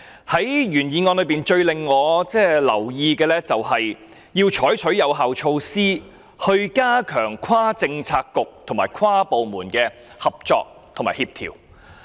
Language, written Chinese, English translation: Cantonese, 在原議案中最引起我注意的，就是要採取有效措施，以加強跨政策局和跨部門的合作和協調。, What has attracted my attention most in the original motion is the adoption of effective measures to strengthen inter - bureau and inter - departmental cooperation and coordination